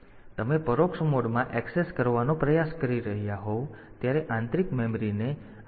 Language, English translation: Gujarati, So, internal memory when you are trying to access in indirect mode; so, you can do it like this